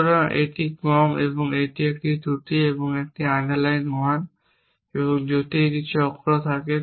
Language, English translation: Bengali, So, this is the less a this is the flaw an underline 1 and if have cycle it then it is been resolved